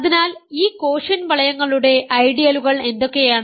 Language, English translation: Malayalam, So, what are ideals of this quotient rings